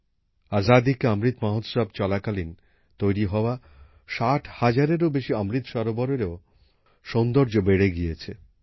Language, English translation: Bengali, More than 60 thousand Amrit Sarovars built during the 'Azaadi ka Amrit Mahotsav' are increasingly radiating their glow